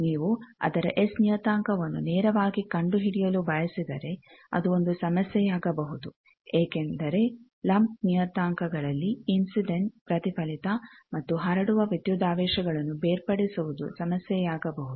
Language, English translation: Kannada, So, if you want to find its S parameter directly that may be a problem because for lump parameters the separating incident reflected transmitted voltages that become a problem